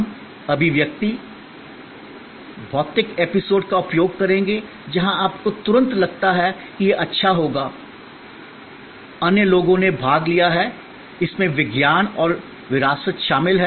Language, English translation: Hindi, We will use expressions, physical episodes, where you immediately feel that this will be good, other people have taken part, there is science and heritage involved